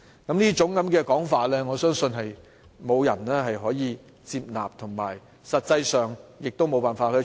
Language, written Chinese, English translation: Cantonese, 這種說法，我相信沒有人會接納，而實際上亦行不通。, I do not think anyone will accept this argument and it is not workable in reality either